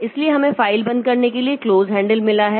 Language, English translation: Hindi, So we have got close handle for closing the file